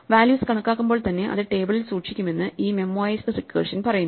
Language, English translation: Malayalam, This memoized recursion tells us that we will store values into a table as and when they are computed